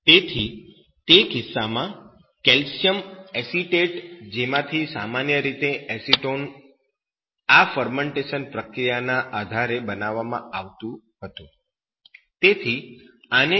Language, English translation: Gujarati, So, in that case, calcium acetate from which acetone was normally produced based on these fermentation processes